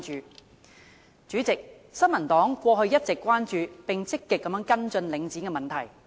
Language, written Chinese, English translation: Cantonese, 代理主席，新民黨過去一直關注並積極跟進領展的問題。, Deputy President the New Peoples Party has all along been concerned about and actively following up on the Link REIT issue